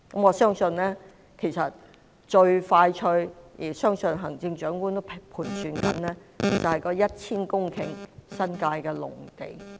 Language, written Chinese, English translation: Cantonese, 我相信最快可用的——相信行政長官也在盤算——就是 1,000 公頃的新界農地。, I believe that the earliest available are the 1 000 hectares of agricultural land in the New Territories which I think the Chief Executive is also pondering about